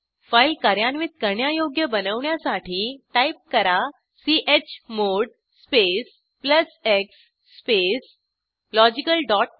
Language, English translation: Marathi, First make the file executable by typing chmod space plus x space logical dot sh press Enter